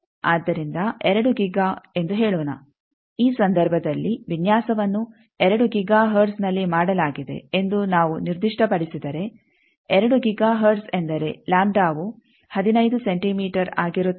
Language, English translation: Kannada, So, 2 giga let us say, in this case if we specify that the design is done at 2 giga hertz, 2 giga hertz means it is the 15 centimetre is the lambda